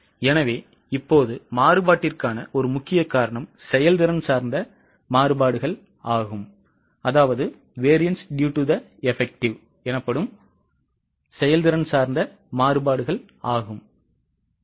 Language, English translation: Tamil, So, now one important reason for variance is variances due to efficiency